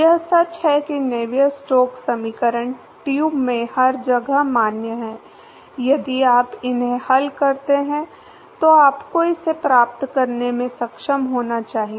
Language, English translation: Hindi, That is true Navier Stokes equation is valid everywhere in the tube if you solve them you should be able to get it